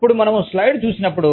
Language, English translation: Telugu, Now, when we look at the slide